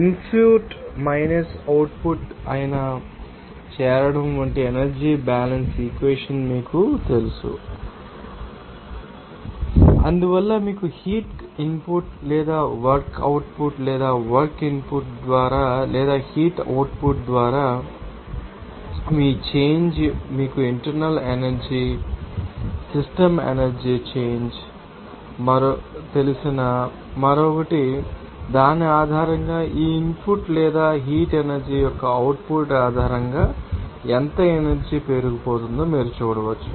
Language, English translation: Telugu, We are having this you know energy balance equation like accumulation that is input minus output and because of that you know heat input or work output or work input by or heat output based on these there will be a you know change of you know internal energy and also you know other you know system energy change and based on which you can see that how much energy would be accumulated based on this input or output of the energy of heat